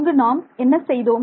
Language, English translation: Tamil, What did we do